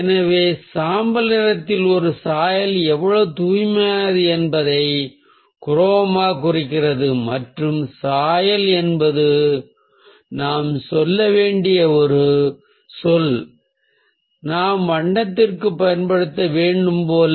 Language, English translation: Tamil, so chroma indicates how pure a hue is in relation to grey, and hue is the term that we must say, like we must use for colour